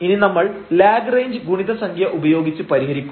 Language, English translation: Malayalam, So, what is the method of Lagrange multiplier